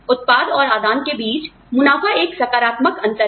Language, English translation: Hindi, Profit is the positive difference, between output and input